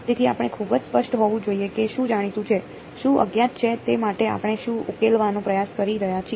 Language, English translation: Gujarati, So, we should be very clear what is known, what is unknown what are we trying to solve for right